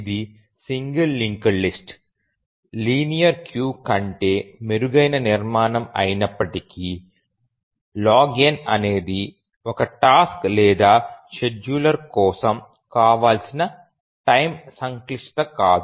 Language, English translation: Telugu, So even though it is a better structure than a singly linked list a linear queue, but still log n is not a very desirable time complexity for a task for a scheduler